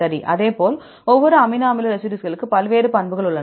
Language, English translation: Tamil, We know the values for each amino acid residues, the molecular weights